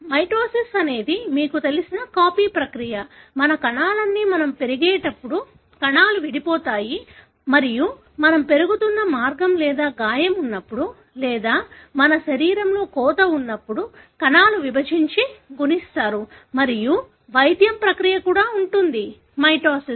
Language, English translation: Telugu, Mitosis is the, you know, copying process; all our cells when we grow, you know, cells divide and that is one of the way by which we are growing or when there is a wound or when there is a cut in your body, cells divide, multiply and the healing process also involves mitosis